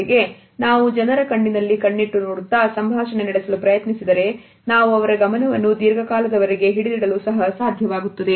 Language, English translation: Kannada, At the same time if we look into the eyes of the people and try to hold a dialogue, then we are also able to hold their attention